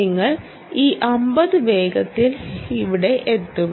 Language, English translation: Malayalam, you will attend this fifty quickly back here